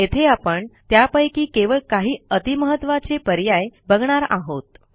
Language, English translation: Marathi, Here we will see only the most important of them